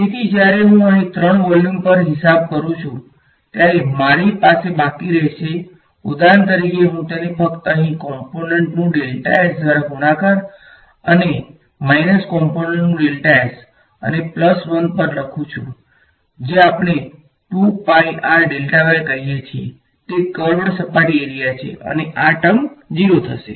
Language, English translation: Gujarati, So, when I do this accounting over the 3 volumes over here I will be left with for example, I just write it over here D 1 normal component multiplied by delta s and minus D 2 normal component delta s and plus 1 term which is let us say 2 pi r delta y right that is the curved surface area and this term is going to go to 0 right